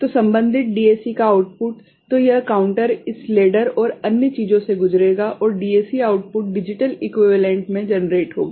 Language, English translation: Hindi, So, the corresponding DAC output the corresponding DAC so, this counter will go through this ladder and other things and all and DAC output you know in digital equivalent will be generated